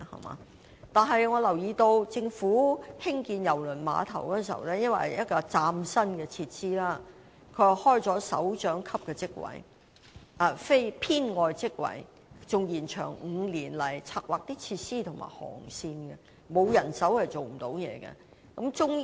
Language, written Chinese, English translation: Cantonese, 我亦留意到，政府興建郵輪碼頭時，由於是嶄新設施，故開設了首長級職位，而非編外職位，該職位更延長5年，以策劃設施和航線，可見沒有人手是無法成事的。, There is nothing so wrong with this practice . I also notice that since the cruise terminal was a new kind of facility at the time the Government specially created a supernumerary directorate post in the course of its development and the post was even extended for five years showing that it would be impossible to accomplish anything without the necessary manpower